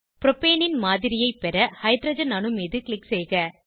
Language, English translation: Tamil, Click on the hydrogen atom to get a model of Propane